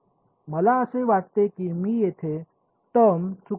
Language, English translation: Marathi, Have I think I have missed a term over here have I